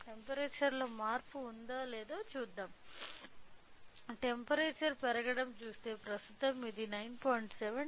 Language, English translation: Telugu, If we see the temperature started increasing, right now it is at 9